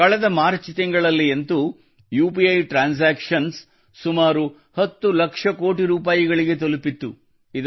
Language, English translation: Kannada, Last March, UPI transactions reached around Rs 10 lakh crores